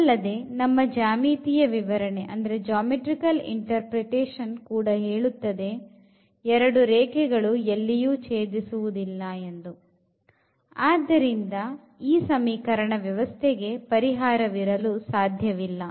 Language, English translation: Kannada, And, the geometrical interpretation also says the same that these two lines they do not intersect and hence, we cannot have a solution for this given system of equations